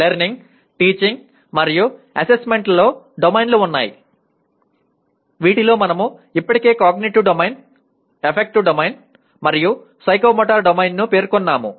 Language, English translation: Telugu, The Learning, Teaching and Assessment have domains including we have already mentioned cognitive Domain, Affective Domain, and Psychomotor Domain